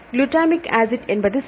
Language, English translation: Tamil, Glutamic acid that is fine